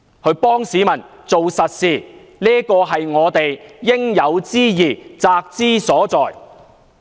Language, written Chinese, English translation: Cantonese, 為市民做實事，是我們應有之義，責之所在。, Doing solid work for the public is our bounden duty